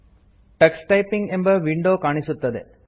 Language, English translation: Kannada, The Tux Typing window appears